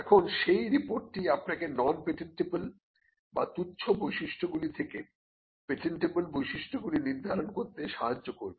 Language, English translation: Bengali, Now, this report will help you to determine the patentable features from the non patentable or the trivial features